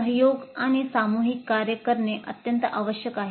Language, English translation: Marathi, Collaboration and group work is very essential